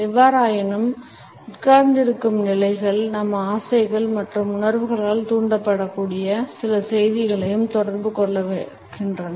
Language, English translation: Tamil, However, the sitting positions also communicates certain messages which are likely to be motivated by our unconscious desires and perceptions